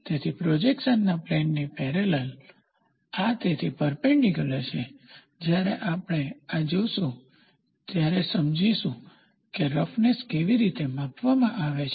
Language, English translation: Gujarati, So, parallel to the plane of projection, this is perpendicular to the so, when we look at this we will should understand how is the roughness measured